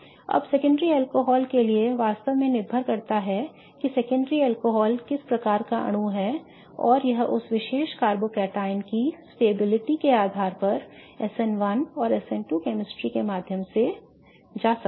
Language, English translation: Hindi, Now, for secondary alcohols it really depends what kind of molecule the secondary alcohol is and it may go via SN1 or SN2 chemistry depending on the stability of that particular carbocotion